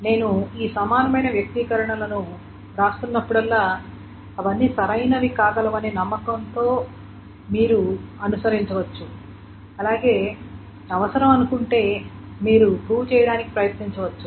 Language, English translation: Telugu, Now, whenever I am writing down this equivalent expressions, all of them can be proved, but you can at least intuitively follow that these are going to be correct and the proofs if you want, you can try